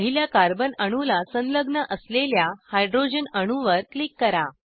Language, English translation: Marathi, Click on the hydrogen atom attached to the first carbon atom